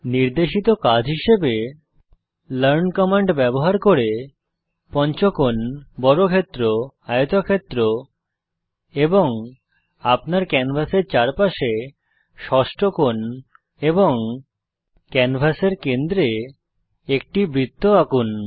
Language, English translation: Bengali, As an assignment for you to solve, Using learn command, draw a pentagon square rectangle hexagon on all four corners of your canvas and A circle at the centre of the canvas